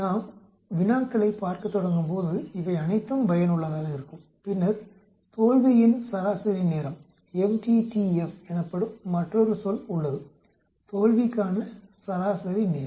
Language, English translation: Tamil, All these are useful when we start looking at problems and then there is another term that is called the mean time to failure m t t f, mean time to failure